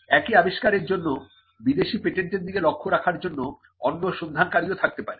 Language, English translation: Bengali, And you could also have another part searcher looking at a foreign patent for the same invention